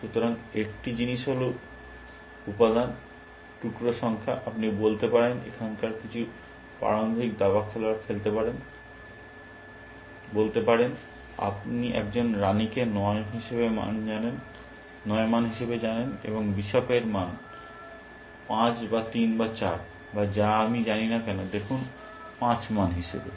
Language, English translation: Bengali, So, one thing is material, number of pieces, you can say, some of now beginning chess players might say, that you know a queen as value 9, and bishop has value 5 or 3 or 4 or whatever I do not know, look as value 5